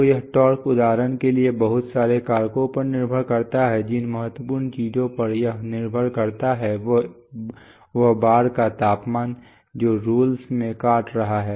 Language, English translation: Hindi, So that comes, that torque depends on a lot of factors for example, one of the important things on which it depends is the temperature of the bar which is biting into the rules